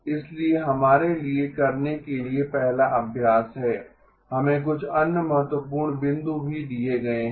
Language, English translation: Hindi, So the first exercise for us to do we are also given a couple of other important points